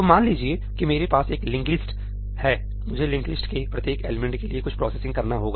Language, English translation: Hindi, So, suppose that I have a linked list; I have to do some processing for each element of the linked list